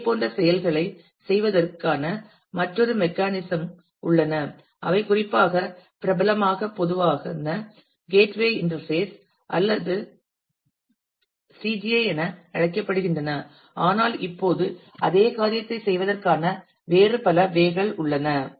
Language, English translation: Tamil, There is there has been another other mechanisms of doing similar things also which was particularly popularly are called the common gateway interface or CGI, but now we have various other ways of doing the same thing